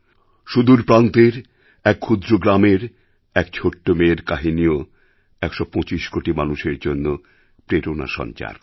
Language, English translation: Bengali, An incident regarding a small girl from a remote village too can inspire the hundred and twenty five crore people